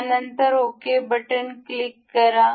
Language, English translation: Marathi, And we will click ok